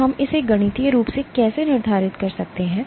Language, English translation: Hindi, So, how do we quantify this mathematically